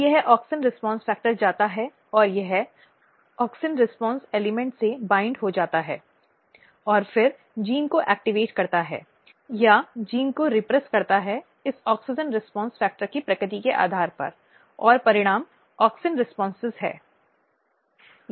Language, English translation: Hindi, Now, this auxin response factor as I said it is a transcription factor it goes and it binds to auxin response element and then activate the gene or repress the gene depending on what is the nature of this auxin response factor and result is auxin responses